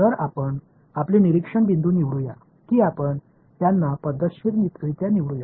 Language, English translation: Marathi, So, what we will do is let us choose our the observation point let us choose them systematically